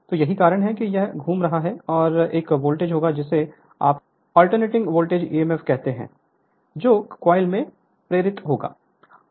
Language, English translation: Hindi, So, this why it is revolving and a voltage will be what you call an alternating voltage emf will be induced in the coil right